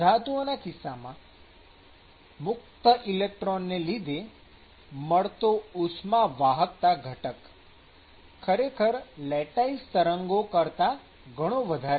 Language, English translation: Gujarati, Now, if you take metals, then the thermal conductivity component due to free electrons is actually much higher that of the lattice